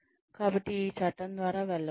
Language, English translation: Telugu, So, one can go through this act